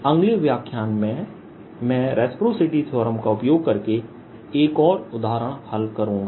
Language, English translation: Hindi, in the next lecture i'll solve one more example using reciprocity theorem